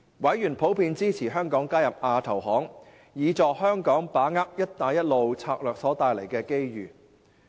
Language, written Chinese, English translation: Cantonese, 委員普遍支持香港加入亞投行，以助香港把握"一帶一路"策略所帶來的機遇。, Members in general supported Hong Kong to become a member of AIIB which would help Hong Kong tapping the opportunities arising from the Belt and Road Initiative